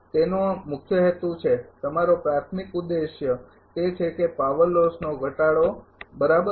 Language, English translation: Gujarati, It is that main purpose is that your primary objective is that it should reduce the power loss right